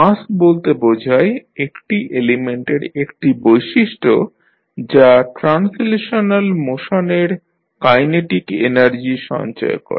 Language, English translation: Bengali, Mass is considered a property of an element that stores the kinetic energy of translational motion